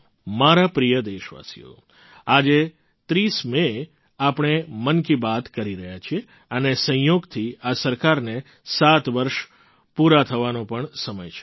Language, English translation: Gujarati, My dear countrymen, today on 30th May we are having 'Mann Ki Baat' and incidentally it also marks the completion of 7 years of the government